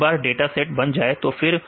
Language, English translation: Hindi, Once data set is done and then